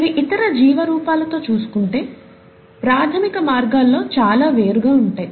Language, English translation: Telugu, They are different in many fundamental ways from the other life forms